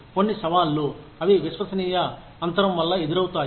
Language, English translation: Telugu, Some challenges, that are posed by the trust gap